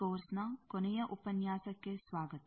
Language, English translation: Kannada, Welcome to the last lecture of this course